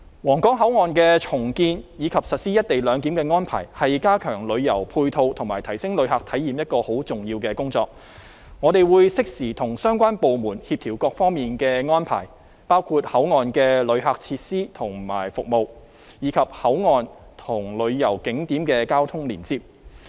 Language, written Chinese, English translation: Cantonese, 皇崗口岸的重建，以及實施"一地兩檢"的安排，是加強旅遊配套和提升旅客體驗一項很重要的工作，我們會適時跟相關部門協調各方面的安排，包括口岸的旅客設施和服務，以及口岸和旅遊景點的交通連接。, The redevelopment of the Huanggang Port and the implementation of the co - location arrangement is an important task to enhance supporting tourism facilities and visitors experience . We will make timely coordination on various arrangements with all relevant departments including visitors facilities and services at the Port as well as the traffic connection between the Port and tourist attractions